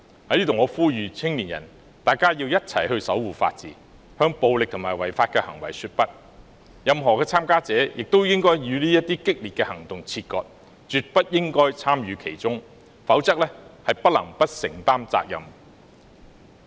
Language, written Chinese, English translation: Cantonese, 我在此呼籲青年人，大家要一起守護法治，向暴力及違法行為說不，任何參加者亦應與這些激烈行動切割，絕不應參與其中，否則不能不承擔責任。, I hereby appeal to the young people to safeguard the rule of law together and say no to violent and unlawful conduct . Every participant should break off with such radical actions in which they absolutely should not have any involvement . Otherwise they must bear the responsibility